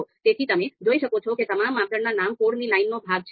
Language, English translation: Gujarati, So you can see all the all the criteria all the criteria names are part of this this line of code